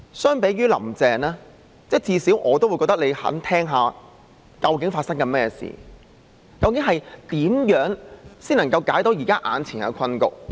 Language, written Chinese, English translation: Cantonese, 相比"林鄭"，我至少覺得司長願意聆聽究竟發生甚麼事，究竟怎樣才能夠解決眼前的困局？, Compared to Carrie LAM I reckon at least that the Chief Secretary is willing to lend an ear to exactly what has happened and exactly what can be done to resolve the current deadlock